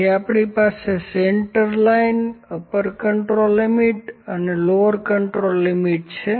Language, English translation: Gujarati, So, we have central line, lower control limit, and upper control limit